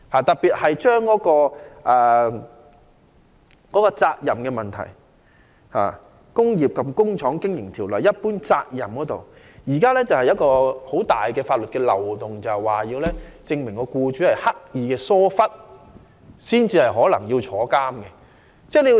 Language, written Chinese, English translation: Cantonese, 特別是，在責任問題上，《工廠及工業經營條例》中有關一般責任的條文現時存在很大漏洞，因為控方須證明僱主刻意疏忽，僱主才有可能遭判處監禁。, In particular on the issue of liability the provisions on general duties under the Factories and Industrial Undertakings Ordinance are plagued by major loopholes at present because the prosecution must prove the presence of deliberate negligence on the part of the employer as the prerequisite for a possible prison sentence on the latter